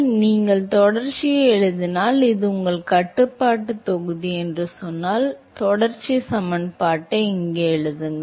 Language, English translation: Tamil, So, if you write continuity, if you say this is your control volume you write your continuity equation here